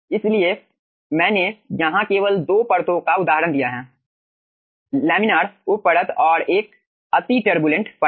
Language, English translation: Hindi, so i have given here aah, the example of 2 layers: only laminar sub layer and the extreme 1 turbulent layer